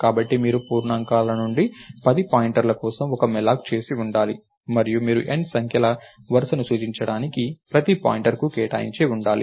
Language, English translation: Telugu, You should have done both these mallocs, so you you should have done a malloc for 10 pointers to integers and you should have allocated for each pointer to point to a row of ah